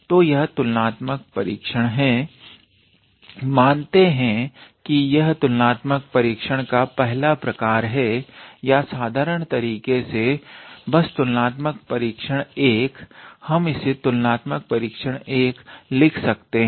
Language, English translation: Hindi, So, this is the comparison test of let us say, comparison test of type 1 or simply just comparison test 1, we can write it as comparison test 1